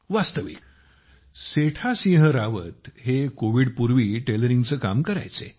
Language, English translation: Marathi, Actually, Setha Singh Rawat used to do tailoring work before Covid